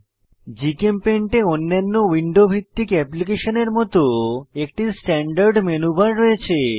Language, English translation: Bengali, GChempaint has a standard menu bar like other window based applications